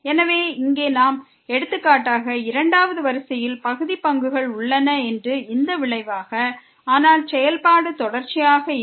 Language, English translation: Tamil, So, here also we have for example, this result that the second order partial derivatives exists, but the function is not continuous